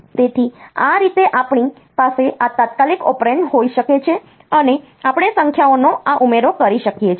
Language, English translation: Gujarati, So, this way we can have this immediate operand, and we can have this addition of numbers